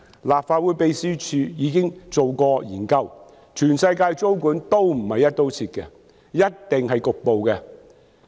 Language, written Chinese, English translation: Cantonese, 立法會秘書處已經進行研究，全世界的租管都不是"一刀切"的，一定是局部的。, The Legislative Council Secretariat has already conducted the relevant research . No tenancy control in the world is exercised across the board . It must be partial